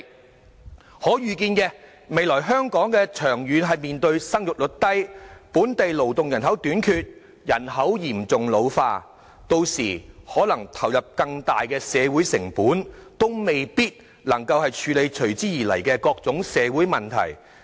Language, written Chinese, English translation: Cantonese, 我們可預見，未來香港長遠面對生育率低，本地勞動人口短缺，人口嚴重老化，屆時可能須投入更大的社會成本，也未必能夠處理隨之而來的各種社會問題。, Given that the fiscal reserves of Hong Kong stand at 1,000 billion at present we can absolutely afford it . We can foresee that in the future Hong Kong will face a low fertility rate a shortage of local labour and serious population ageing in the long run which may add to our social costs by then and we may still be unable to cope with the various social problems that follow